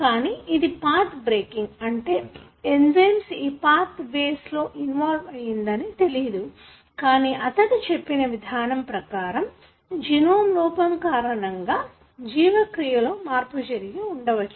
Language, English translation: Telugu, So, this is something which is path breaking, I mean that he did not know that there are enzymes involved in different pathways, but what he proposed was that, there is a defect in the genome possibly that alters the way the metabolism happens